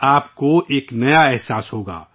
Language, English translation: Urdu, You will undergo a new experience